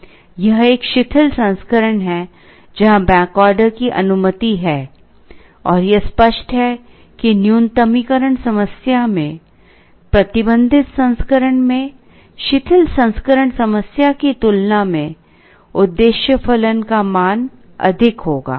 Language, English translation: Hindi, This is a relaxed version, where back ordering is allowed, and it is only obvious that in a minimization problem, the restricted version will have an objective function value higher than the relaxed problem